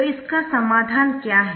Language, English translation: Hindi, so what is it right